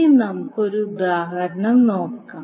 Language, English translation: Malayalam, Now let us take 1 example